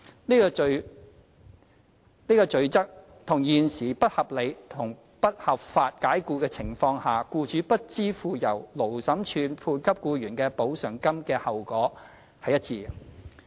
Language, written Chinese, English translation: Cantonese, 此罰則與現時在不合理及不合法解僱的情況下，僱主不支付由勞審處判給僱員的補償金的後果一致。, The penalty is consistent with the current penalty for an employer who fails to pay the amount of compensation awarded to the employee by the Labour Tribunal in cases of unreasonable and unlawful dismissal